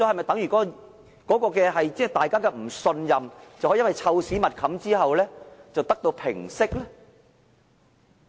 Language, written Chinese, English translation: Cantonese, 大家的不信任可否因為"臭屎密冚"之後而得到平息呢？, Will the mistrust be quietened down after the covering up all the stinking shit?